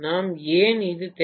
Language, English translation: Tamil, So why do we need this